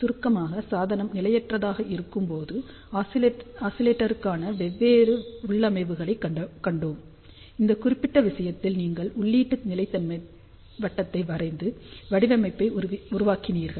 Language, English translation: Tamil, Just to summarize we saw different configurations for oscillator when the devices un stable, in that particular case your draw the input stability circle and do the design